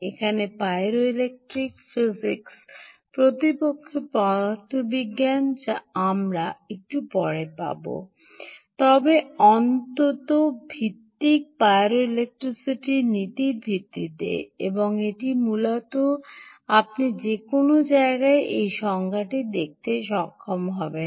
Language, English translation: Bengali, this, this principle here is pyroelectricity physics indeed, is the physics we will get to a little later, but at least is based on the principle of pyroelectricity and um, it is essentially the ability